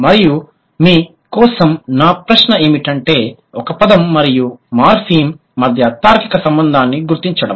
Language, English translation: Telugu, And my question for you was to identify the logical relation between the logical relation between a word and a morphem, right